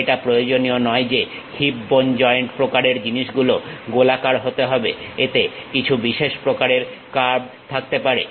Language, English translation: Bengali, It is not necessary that the hip bone joint kind of thing might be circular, it might be having some specialized curve